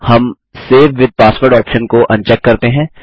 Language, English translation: Hindi, We un check the Save with password option